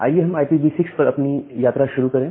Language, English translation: Hindi, So, let us have a journey on IPv6 addressing